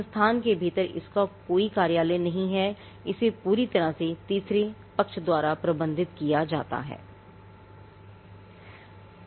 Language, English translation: Hindi, It does not have any office within the institute, it is completely managed by the third parties